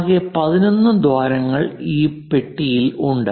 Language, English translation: Malayalam, In total 11 holes are there for this box